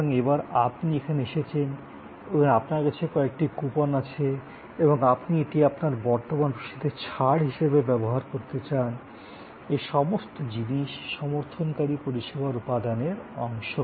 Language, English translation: Bengali, So, this time you are here and you have some coupons collected and you want to use that as a discount on your current bill, all those are part of these supporting service elements